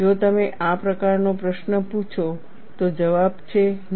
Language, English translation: Gujarati, If you ask that kind of a question the answer is, no